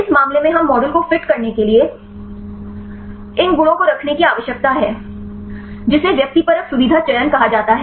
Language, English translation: Hindi, In this case we need to keep these properties for fitting the model, there is called the subjective feature selection